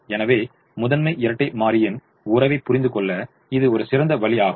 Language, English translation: Tamil, so that is one way to understand primal dual relationship